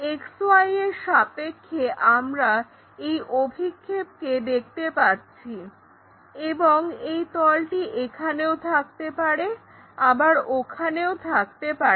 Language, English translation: Bengali, So, that projection what we will see it with respect to XY and this plane can be here it can be there also